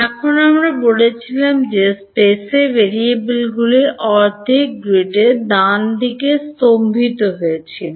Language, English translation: Bengali, Now we said that in space the variables was staggered by half a grid right, staggered by